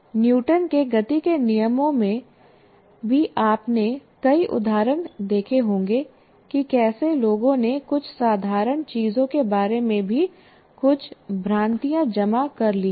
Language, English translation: Hindi, You must have seen any number of examples of things like with regard to even Newton's loss of motion, how people have accumulated some misconceptions about even some simple things